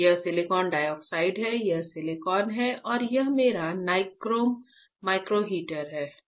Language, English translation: Hindi, This is silicon dioxide, this is silicon and this one is my nichrome micro heater